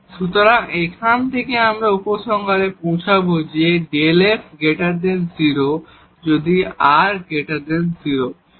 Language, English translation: Bengali, So, from here, we will conclude that this delta f will be positive, if r is positive